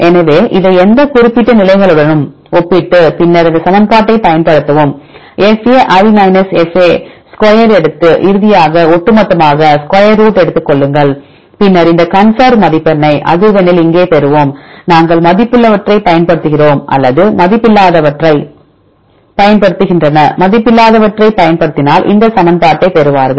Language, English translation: Tamil, So, and then compare this with any particular positions and then use this equation fa fa right take the square and finally, summation overall the pairs and then take the square root then we will get this conservation score here in the frequency either we use weighted ones or they use the unweighted ones; if use unweighted ones then they get this equation